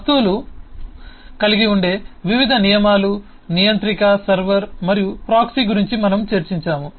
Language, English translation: Telugu, we have discussed about different rules that objects can have: controller, server and proxy